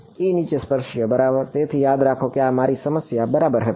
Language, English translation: Gujarati, E tangential right so, remember this was my problem right